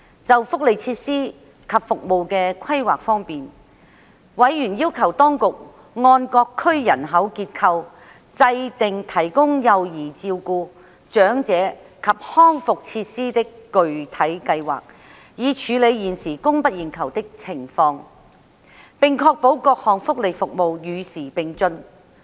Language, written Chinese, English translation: Cantonese, 就福利設施及服務的規劃方面，委員要求當局按各區人口結構制訂提供幼兒照顧、長者及康復設施的具體計劃，以處理現時供不應求的情況，並確保各項福利服務與時並進。, On the planning for social welfare facilities and services members requested the Administration to draw up concrete planning for the provision of child care elderly and rehabilitation facilities according to the demographic structures of various districts so as to deal with the current undersupply and ensure that various welfare services would be kept abreast with the times